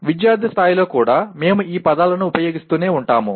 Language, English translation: Telugu, If you look at even at student’s level, we keep using these words